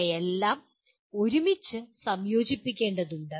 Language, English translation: Malayalam, They will all have to be integrated together